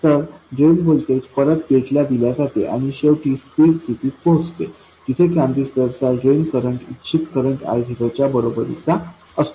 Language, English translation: Marathi, So, the drain voltage is somehow fed back to the gate and finally steady state is reached where the drain current of the transistor equals the desired current I 0